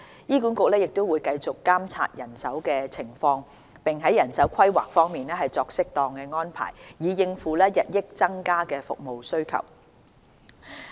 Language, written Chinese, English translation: Cantonese, 醫管局會繼續監察人手情況，並在人手規劃方面作適當安排，以應付日益增加的服務需求。, HA will continue to keep in view the manpower situation and make appropriate arrangements in manpower planning to cope with the growing demand for health care services